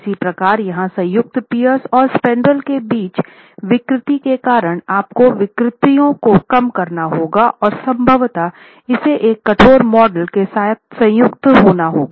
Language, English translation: Hindi, Similarly here because of lower deformations at that joint between the pier and the spandrel you will have to constrain the deformations and possibly model it as a rigid joint as well